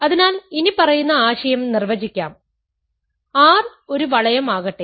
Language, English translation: Malayalam, So, let us define the following notion, let R be a ring